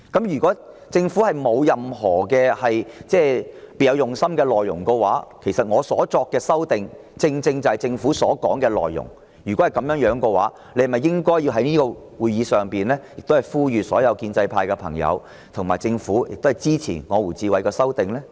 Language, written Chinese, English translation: Cantonese, 如果政府不是別有用心，而我提出的修訂議案又正正是政府所表述的內容，那政府不是應該在議會上呼籲所有建制派議員和政府官員一同支持由我提出的修訂議案嗎？, If the Government does not have some other agenda and the amending motion I propose is exactly what the Government has stated then should it not make an appeal to all Members from the pro - establishment camp in the Council and public officers to support my amending motion?